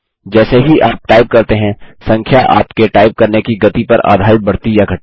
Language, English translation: Hindi, As you type, the number increases or decreases based on the speed of your typing